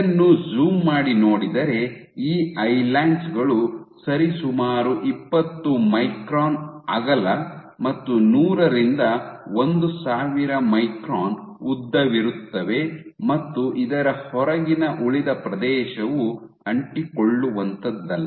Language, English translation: Kannada, So, if you zoom in you will get these islands which are roughly 20 microns in width, and 100 to 1000 microns in length and the remaining area, the remaining area outside this is non adhesive ok